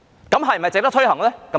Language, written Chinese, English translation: Cantonese, 那是否值得推行呢？, Is this measure worth implementing?